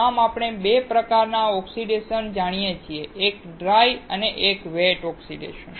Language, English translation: Gujarati, Thus, we know 2 types of oxidation, one is dry oxidation, and one is wet oxidation